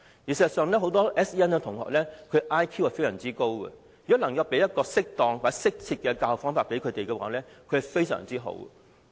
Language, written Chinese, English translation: Cantonese, 事實上，很多 SEN 學生的 IQ 也非常高，如果能提供適當或適切的教學方法，他們的表現和發展會非常好。, In fact many SEN students have very high intelligence quotient . If given instruction with appropriate or fitting teaching methods their performance and development will be remarkable